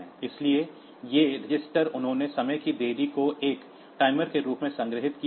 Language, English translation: Hindi, So, these registers they have stored the time the time delay as a timer